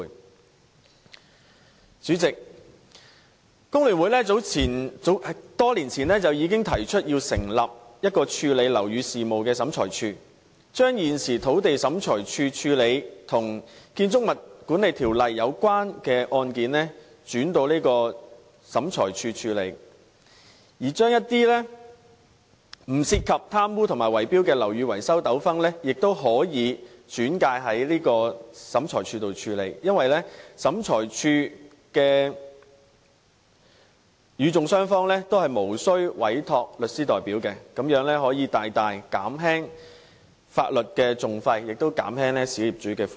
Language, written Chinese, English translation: Cantonese, 代理主席，香港工會聯合會多年前已經提出成立處理樓宇事務的審裁處，將現時土地審裁處負責處理與《建築物管理條例》有關的案件，轉交這個審裁處處理，而一些不涉及貪污和圍標的樓宇維修糾紛亦可以轉介到這個審裁處處理，因為由這個審裁處處理的個案中的與訟雙方均無須委託法律代表，這樣可以大大減輕法律訟費，亦可以減輕小業主的負擔。, Deputy President the Hong Kong Federation of Trade Unions already proposed many years ago the setting up of a tribunal for handling building affairs . We proposed that cases relating to the Building Management Ordinance currently under the charge of the Lands Tribunal be transferred to this tribunal . Disputes over building maintenance that do not involve corruption and bid - rigging can also be transferred to this tribunal because as the litigants in cases handled by this tribunal are not required to appoint legal representatives this can greatly reduce the legal costs and hence alleviate the burden on small property owners